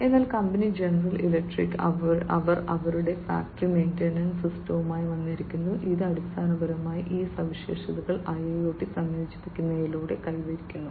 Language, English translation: Malayalam, So, the company general electric, they have come up with their factory maintenance system, which basically achieves these features through the incorporation of IIoT